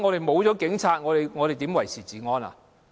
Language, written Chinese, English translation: Cantonese, 沒有警察，如何維持治安？, Without the Police who will maintain law and order?